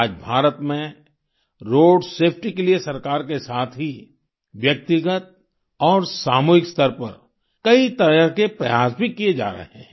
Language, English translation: Hindi, Today, in India, many efforts are being made for road safety at the individual and collective level along with the Government